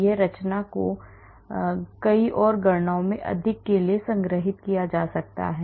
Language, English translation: Hindi, This conformation can be stored for more in many more calculations